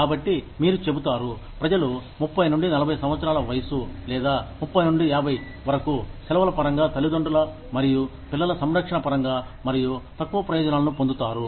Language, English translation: Telugu, So, you will say, people between the age of, say, 30 to 40, or, 30 to 50, will get more benefits, in terms of, parent and child care, and less benefits, in terms of vacation